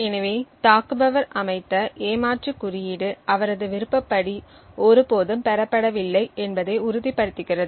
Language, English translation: Tamil, So, one way is to make sure that the cheat code set by the attacker is never obtained as per his wishes